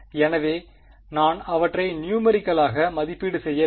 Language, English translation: Tamil, So, I need to evaluate these numerically